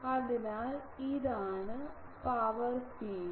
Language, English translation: Malayalam, So, this will be the power field